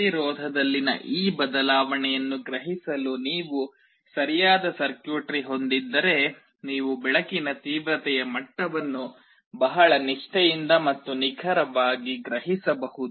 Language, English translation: Kannada, If you have a proper circuitry to sense this change in resistance, you can very faithfully and accurately sense the level of light intensity